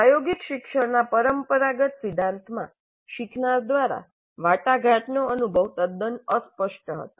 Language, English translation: Gujarati, In the traditional theory of experiential learning, the experience negotiated by the learner was quite vague